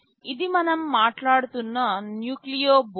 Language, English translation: Telugu, This is the Nucleo board which we are talking about